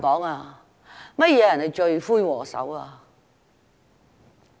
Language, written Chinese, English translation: Cantonese, 甚麼人是罪魁禍首？, Who is the chief culprit?